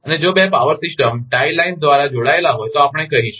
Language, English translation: Gujarati, And if two power systems are connected by tie line, we call